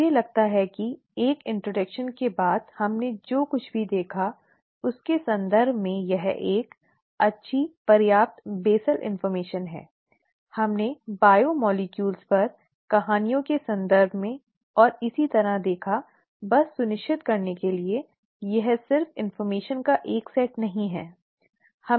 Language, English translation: Hindi, I think that is good enough basal information in terms of whatever we looked at after an introduction, we looked at biomolecules, in terms of stories and so on, just to make sure, it is just not a set of information